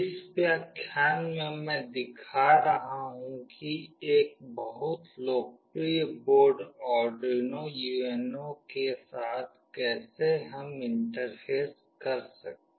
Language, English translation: Hindi, In this lecture I will be showing you how we can Interface with Arduino UNO, one of the very popular boards